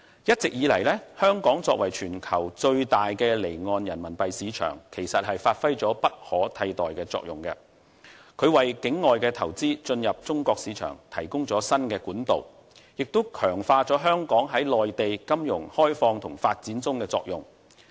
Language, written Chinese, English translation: Cantonese, 一直以來，香港作為全球最大的離岸人民幣市場，其實發揮了不可替代的作用，為境外投資進入中國市場提供了新管道，亦強化了香港在內地金融開放和發展中的作用。, The status as the biggest off - shore RMB market in the world has along enabled Hong Kong to perform the irreplaceable role of providing a new channel for the entry of off - shore investments into the China market and to enhance our role in the liberalization and development of the Mainland financial markets